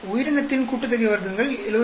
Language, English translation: Tamil, Organism sum of squares is 79